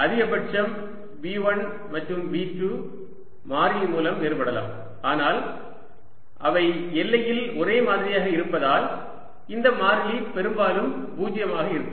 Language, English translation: Tamil, at most v one and v two can differ by constant, but since they are the same on the boundary, this constant better be zero